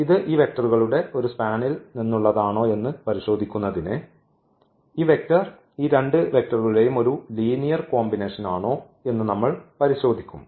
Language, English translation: Malayalam, All linear combinations of these two vectors and to check whether this belongs to this a span of this these vectors on we will just check whether this vector is a linear combination of these two vectors or not